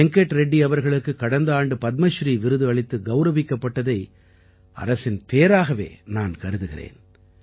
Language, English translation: Tamil, Our Government is fortunate that Venkat Reddy was also honoured with the Padmashree last year